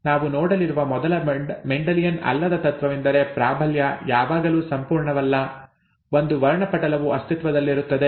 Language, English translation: Kannada, The first non Mendelian principle that we are going to look at is that dominance is not always, excuse me, absolute, a spectrum exists